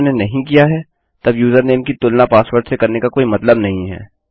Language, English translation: Hindi, If they havent, there is no point in comparing the username to the password